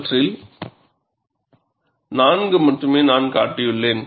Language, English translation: Tamil, I have shown only four of them